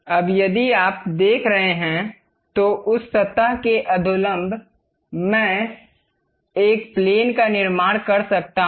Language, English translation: Hindi, Now, if you are seeing, normal to that surface I can construct a plane